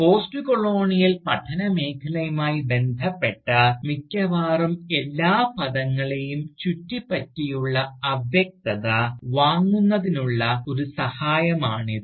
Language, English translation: Malayalam, And, this has of course, been a help to buy the vagueness, that surrounds almost every term, associated with this field of Postcolonial studies